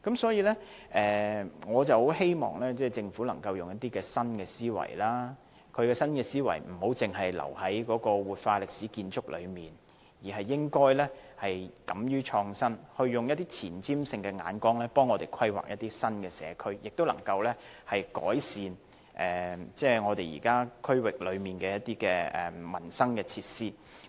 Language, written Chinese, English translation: Cantonese, 所以，我十分希望政府能夠運用新思維，而這種新思維不應該只停留在活化歷史建築上，而是應該敢於創新，用具前瞻性的眼光，替我們規劃一些新社區，改善地區的民生設施。, For this reason I very much hope that the Government can apply new thinking . Instead of merely applying such new thinking on the revitalization of historic structures the Government should be courageous enough to innovate and plan new communities from a forward - looking perspective so as to improve livelihood facilities in the districts